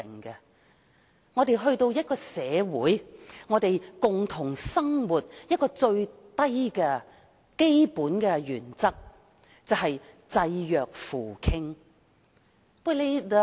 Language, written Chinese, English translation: Cantonese, 在我們共同生活的社會中，有一個最基本原則是濟弱扶傾。, In this society where we live together helping the weak and vulnerable is the most fundamental principle